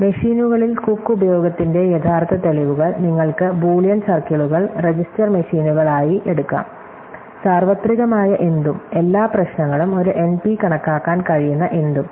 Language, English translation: Malayalam, So, the original proofs of Cook use during machines, you can take Boolean circles are register machines, anything which is universal, anything which can compute every problem an NP